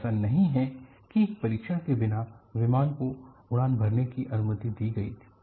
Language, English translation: Hindi, So, it is not that without test the aircraft was allowed to fly